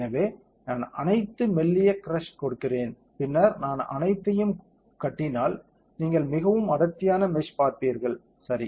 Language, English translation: Tamil, So, let me give finer and then if I give build all you will see a more dense meshing, correct